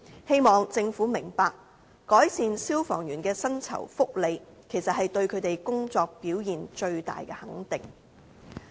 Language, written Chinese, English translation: Cantonese, 希望政府明白，改善消防員的薪酬福利，其實是對他們工作表現最大的肯定。, The Government should understand that improving firemens salaries and benefits is the best way to recognize their contribution